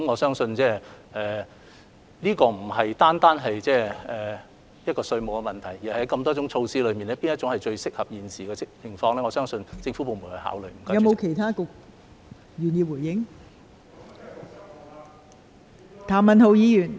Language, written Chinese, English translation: Cantonese, 相信這不單關乎稅務問題，也涉及在眾多措施之中，哪一項最能切合現時的情況，相信相關政府部門會加以考慮。, I think it involves not only taxation issues but also the most appropriate measure we should adopt among many different initiatives to address the current situation and the relevant government departments will give the matter due consideration